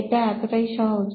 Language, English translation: Bengali, So this is easy